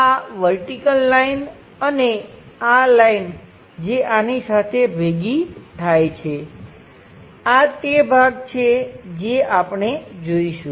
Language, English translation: Gujarati, This vertical line and this one which is mapped with this line, these are the portions what we will see